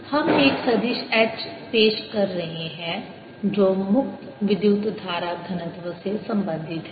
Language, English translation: Hindi, we are introducing a vector h which is related to free current density